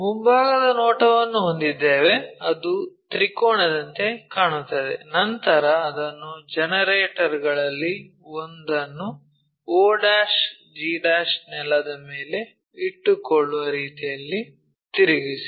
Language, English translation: Kannada, Have a front view which looks like a triangle, then rotate it in such a way that one of the generator may be og' resting on the ground